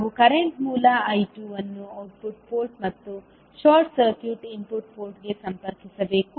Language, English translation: Kannada, We have to connect a current source I2 to the output port and short circuit the input port